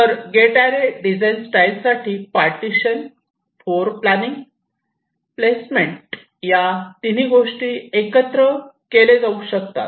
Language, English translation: Marathi, so for gate array, design style, the partitioning, floorplanning, placement, all this three can be merged together